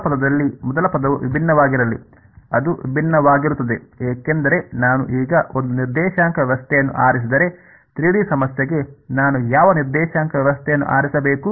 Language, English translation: Kannada, Let us go first term in the first term be different, while it will be different because if I choose a coordinate system now what coordinate system should I choose for a 3 D problem